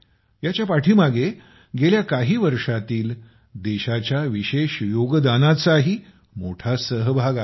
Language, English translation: Marathi, There is also a special contribution of the country in the past years behind this